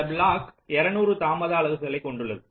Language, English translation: Tamil, this block has two hundred units of delay